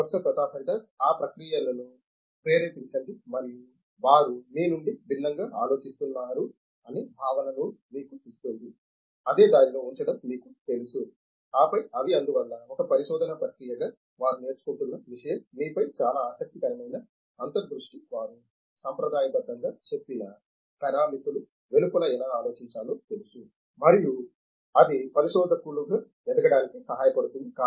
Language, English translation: Telugu, Induce those processes and that gives us the sense that they are actually thinking different from you know being you know put into a stream line and then they are therefore, that is something that they are learning as a research processes that was a very interesting insight on you know how they have to think outside of whatever parameters they are conventionally told about and then that helps them grow as researchers